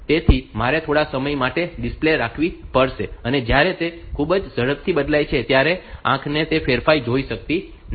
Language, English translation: Gujarati, So, I have to keep the display for some time when if it changes very fast then the eye will not be able to see that change